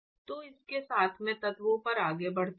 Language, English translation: Hindi, So, with that let me move on to elements